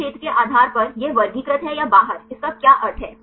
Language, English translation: Hindi, Then based on this area the classify this is out or in, what it is a meaning of out